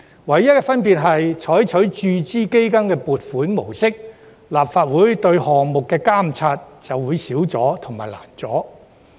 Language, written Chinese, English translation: Cantonese, 唯一的分別是，採用注資基金的撥款模式，立法會對有關項目的監察便會更少及更困難。, The only difference is that with funding in the form of capital injection the Legislative Councils monitoring on the project will be reduced and become more difficult